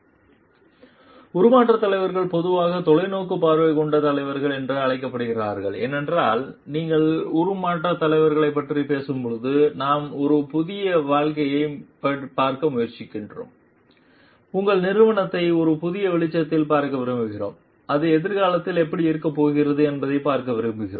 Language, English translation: Tamil, Transformation leaders, are generally called to be visionary leaders because when you are talking of transformation changes, we are trying to see a new life we want to see your organization in a new light, we want to see it how it is going to be there in future